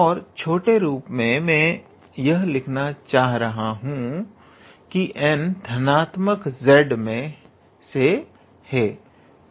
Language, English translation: Hindi, And in short I will try to write n belongs to z positive